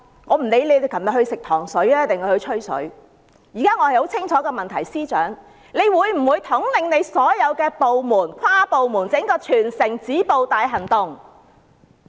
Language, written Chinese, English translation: Cantonese, 我不理他們昨晚是"吃糖水"還是"吹水"，我的質詢很清楚，司長他會否統領所有部門推出全城止暴大行動？, I do not care whether they were gathering last night for desserts or chitchats my question is very clear . Will the Chief Secretary lead all the departments in conducting a territory - wide operation to stop the violence?